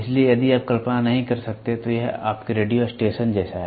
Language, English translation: Hindi, So, if you cannot visualize, it is something like your radio station